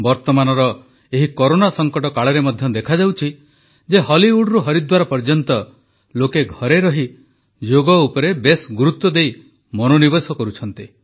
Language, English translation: Odia, During the present Corona pandemic it is being observed from Hollywood to Haridwar that, while staying at home, people are paying serious attention to 'Yoga'